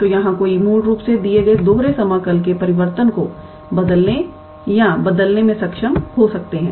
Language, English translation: Hindi, So, here one can be able to transform or change the variable of a given double integral basically